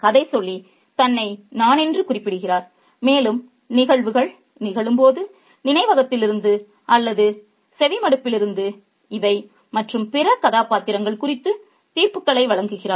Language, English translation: Tamil, The narrator refers to himself or herself as I and relates events as they occur from memory or from hearsay making judgments on these and other characters